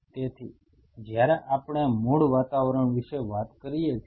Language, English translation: Gujarati, So, when we talk about native environment